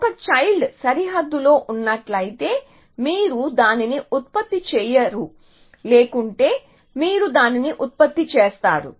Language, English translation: Telugu, So, if a child is present in the boundary, then you do not generate it, otherwise you generate it